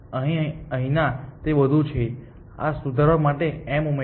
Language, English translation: Gujarati, And here, no that is all and add m to correct